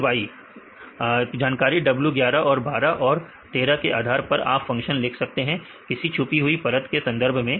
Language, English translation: Hindi, Then y you can write a function based on this information right w11 and 12 and 13 with respect to the hidden layers right